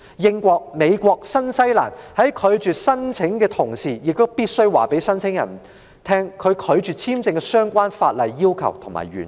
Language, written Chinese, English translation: Cantonese, 英國、美國及新西蘭在拒絕申請時，必須告知申請人被拒發簽證的相關法例要求及原因。, In rejecting visa applications the United Kingdom the United States and New Zealand must inform the applicants in question of the relevant legal requirements and reasons